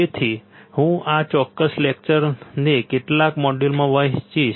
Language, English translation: Gujarati, So, I will divide this particular lecture into few modules